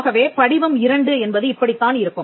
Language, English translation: Tamil, Now, this is how form 2 looks